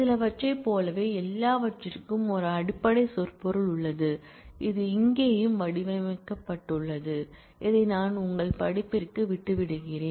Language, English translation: Tamil, Similar to some there is a basic semantics of all which is also worked out here and I leave that to your study at home